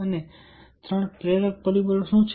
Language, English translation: Gujarati, and what are three motivational factors